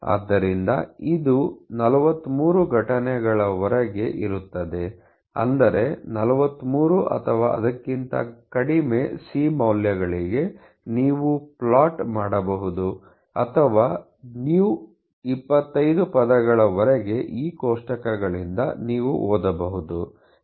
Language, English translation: Kannada, So, this write here is up to 43 occurrences; that means, for a 43 or a less c values, you can plot or you can read from these tables all µ’s all the way about 25 words